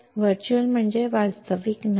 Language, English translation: Marathi, Virtual means not real